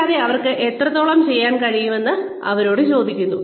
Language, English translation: Malayalam, And, they are asked as to, how much they have been able to do